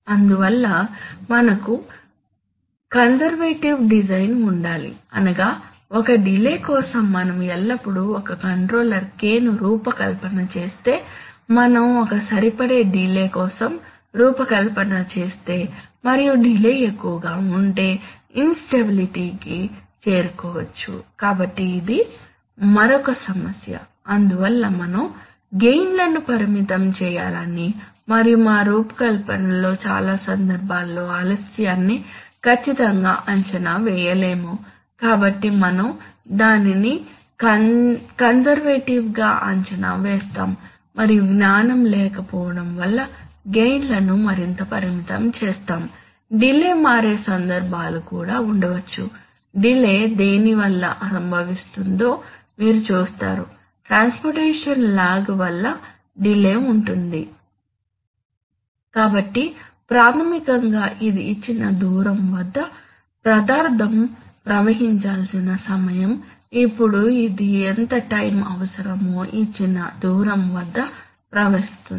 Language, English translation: Telugu, And therefore we must have a conservative design that is if we think that the, if we should always design a controller k for a worst case delay because if the delay is, if we design for a best case delay and if the delay is more then we might land up with instability right, so this is another problem that as such we have to limit the gain and because of the fact that we cannot estimate the delay accurately in many cases in our design we would, we would estimate it conservatively and will further limit the gain because of lack of knowledge